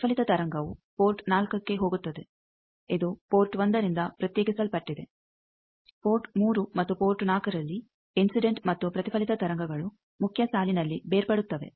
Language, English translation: Kannada, Reflected wave goes to port 4, it is isolated from port 1 incident and reflected wave in main line gets separated at port 3 and 4